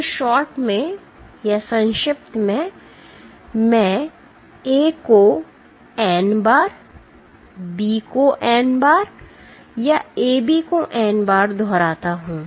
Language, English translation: Hindi, So, in shorts do I repeat A n times B n times or AB n times